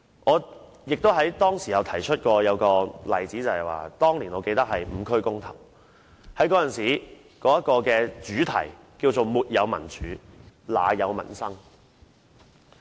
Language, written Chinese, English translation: Cantonese, 我當時亦曾提及一個例子，指出當年"五區公投"行動的主題是"沒有民主，哪有民生"。, I have also cited an example and pointed out that in the campaign on five geographical constituencies referendum back then the theme used was Without democracy there will be no peoples livelihood